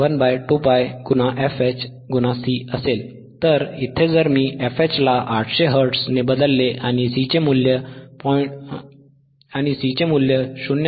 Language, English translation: Marathi, So, I substitute value of f H which is 800; and I substitute value of C which is 0